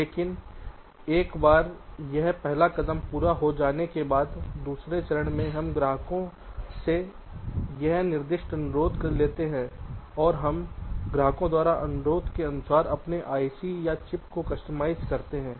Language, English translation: Hindi, but once this first step is done, in this second step we take this specific request from the customers and we customize our ic or chip according to the request by the customers